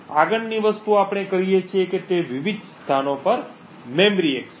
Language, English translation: Gujarati, The next thing we do is create memory accesses to various locations